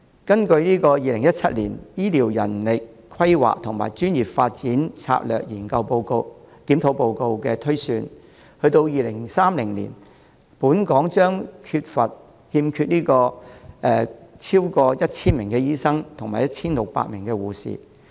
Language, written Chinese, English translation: Cantonese, 據2017年《醫療人力規劃和專業發展策略檢討報告》的推算，至2030年本港將欠缺超過 1,000 名醫生及 1,600 名護士。, According to the projection of the Report of the Strategic Review on Healthcare Manpower Planning and Professional Development in 2017 by 2030 Hong Kong will be in short of over 1 000 doctors and 1 600 nurses